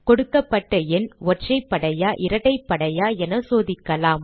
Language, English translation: Tamil, We shall check if the given number is a even number or an odd number